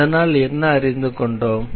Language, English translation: Tamil, So, what we have learn